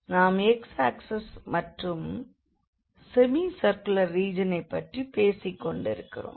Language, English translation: Tamil, And then the x axis and we are talking about the semi circular region